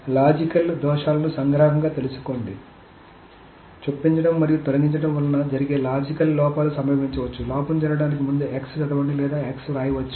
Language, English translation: Telugu, So let us summarize the logical errors is that, so the errors that can happen due to insertion and deletion, the logical errors that can happen is that there can be a read of x or write of x before insert x has taken place